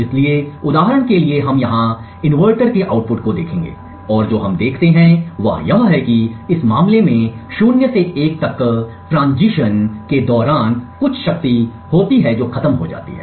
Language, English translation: Hindi, So, for example over here we will look at the output of the inverter and what we see is that during this transition from 0 to 1 in this particular case there is some power that gets consumed